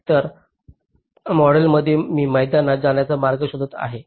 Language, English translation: Marathi, so in this model i am looking the path to ground